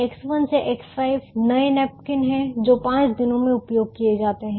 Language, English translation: Hindi, x one, two x five are the new napkins used from the five days